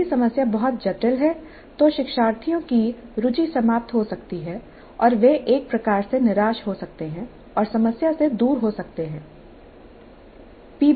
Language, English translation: Hindi, The problem is too complex the learners may lose interest and they may become in a kind of disappointed mode turn away from the problem